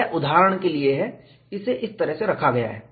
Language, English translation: Hindi, This is, for illustration, it is put like this